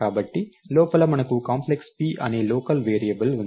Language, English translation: Telugu, So, inside we have a local variable called Complex p, so p is a local variable